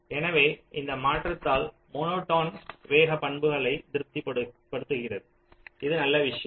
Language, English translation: Tamil, so with this modification the monotone speedup property is satisfied